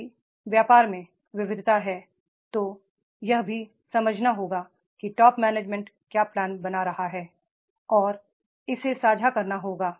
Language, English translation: Hindi, If there is a diversification of the business, then that is also to be understood what top management is planning and that has to be shared